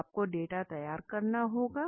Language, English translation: Hindi, So you have to prepare the data